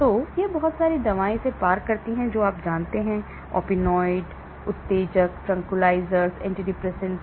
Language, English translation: Hindi, So, a lot of drugs cross this you know, opioid, stimulants, tranquilizers, antidepressants